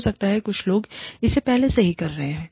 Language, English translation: Hindi, May be, some people are, already doing it